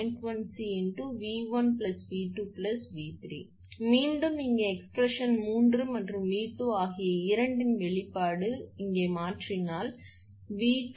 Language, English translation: Tamil, Again here if expression of V 3 as well as V 2 both you substitute here, V 2 is equal to 1